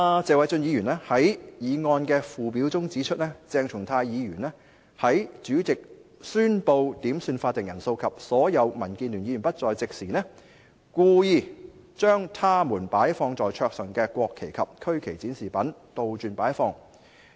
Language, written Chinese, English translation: Cantonese, 謝偉俊議員在議案的附表中指出，"鄭松泰議員在主席宣布點算法定人數及所有民建聯議員不在席時，故意將他們擺放在桌上的國旗及區旗展示品倒轉擺放。, In the schedule to his motion Mr Paul TSE pointed out that when the President directed Members to be summoned for a quorum and all DAB Members were not present Dr Hon CHENG Chung - tai deliberately inverted the mock - ups of the national flags and the regional flags placed on the desks of DAB Members